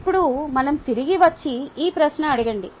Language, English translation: Telugu, now let us come back and ask this question